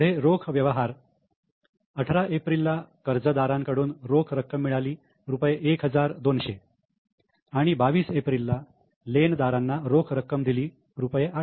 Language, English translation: Marathi, Next cash transaction on 18th April cash received from daters 1 200 and on 22nd April paid cash to creditors 800